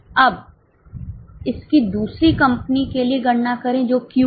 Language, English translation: Hindi, Now calculate it for the other company which is Q